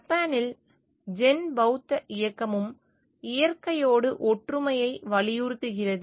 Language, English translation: Tamil, In Japan, the Zen Buddhist movement also stresses oneness with nature